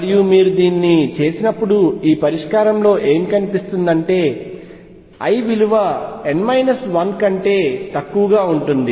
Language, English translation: Telugu, And what is also found in this solution when you do it that l is restricted to below n minus 1